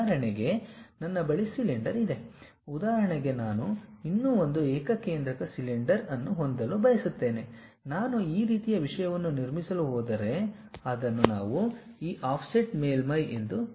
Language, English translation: Kannada, I would like to have one more concentric cylinder around that, if I am going to construct such kind of thing that is what we call this offset surfaces